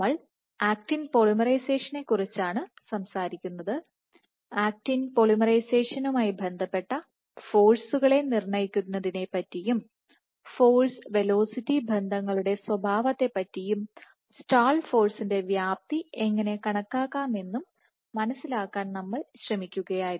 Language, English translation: Malayalam, So, we are talking about actin polymerization and we trying to understand how can we quantify the forces associated with actin polymerization and the nature of force velocity relationships, and the calculating the magnitude of stall force